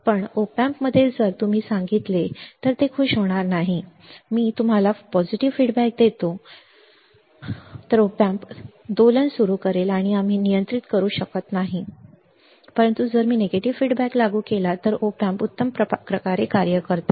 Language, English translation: Marathi, But in op amp, it will not be happy if you tell op amp, I give you positive feedback I give you positive feedback op amp will start oscillating and we cannot control, but if I apply negative feedback op amp works perfectly